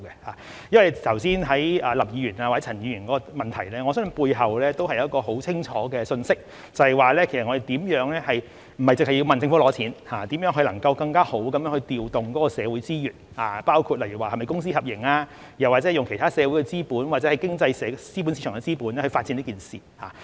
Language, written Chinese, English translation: Cantonese, 對於剛才林議員或陳議員的補充質詢，我相信背後也有一個十分清楚的信息，也就是我們不單是要求政府撥款，而是如何能夠更好地調動社會資源，例如是否公私合營，又或者用其他社會資本或經濟市場的資本發展這項目。, Regarding the supplementary questions raised by Mr LAM and Mr CHAN earlier I believe there is a very clear message behind them and that is we do not only ask for government funding but we also have to think about how we can better deploy social resources such as whether the Public - Private Partnership approach should be adopted or other social capitals or the capitals of the economic market should be leveraged for the development of this project